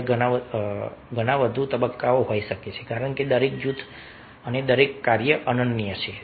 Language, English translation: Gujarati, there might be many more stages, because each group and each task is unique